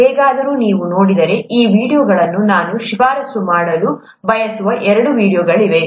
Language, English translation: Kannada, Anyway, if you look at these videos, there are two videos that I’d like to recommend